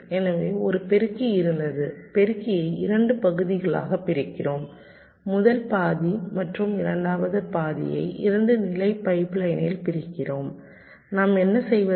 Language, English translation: Tamil, so it was something like this: so there was a multiplier, we divide the multiplier into two parts, first half and the second half, in a two stage pipe line, and what we do